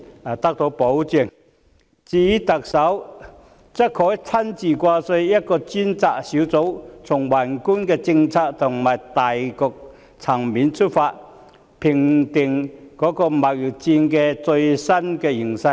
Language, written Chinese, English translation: Cantonese, 至於特首，她可成立一個由她親自掛帥的專責小組，從宏觀的政策和大局層面出發，定期評估貿易戰的最新形勢。, As for the Chief Executive a task force under her leadership can be set up to regularly conduct assessments on the latest developments of the trade war at the macro policy level and having regard to the overall situation